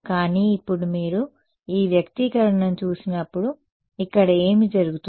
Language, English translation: Telugu, But now when you look at this expression what happens over here